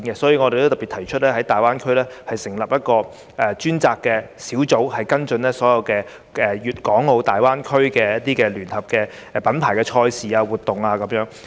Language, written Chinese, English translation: Cantonese, 因此，我特別提出在大灣區成立一個專責小組，跟進所有粵港澳大灣區的聯合品牌賽事和活動。, That is why I propose to set up a designated unit in GBA to handle all joint brand events and activities there